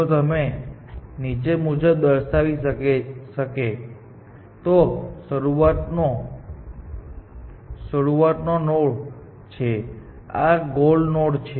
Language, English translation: Gujarati, If you can depict as follows; this is the start node and this is the goal node